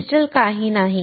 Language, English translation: Marathi, The crystal is nothing